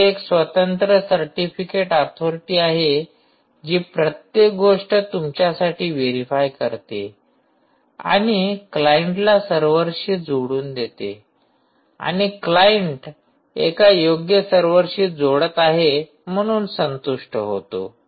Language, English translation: Marathi, here there is an independent certificate authority who will verify everything for you and actually let the client connect to the server, and the client can satisfy itself that it is connecting to the right server